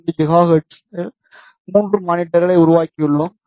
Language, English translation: Tamil, 45 gigahertz, because we have put the monitor at 2